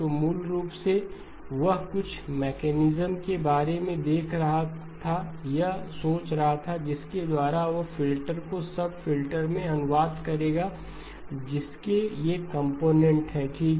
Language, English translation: Hindi, So basically he was looking or thinking about some mechanism by which he will translate a filter into sub filters which have got these components okay